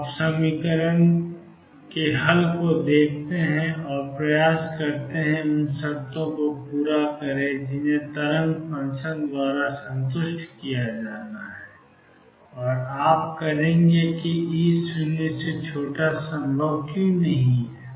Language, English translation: Hindi, You look through the solution of the equation and tried to satisfy the conditions that has to be satisfied by the wave function and you will fine why E less than 0 is not possible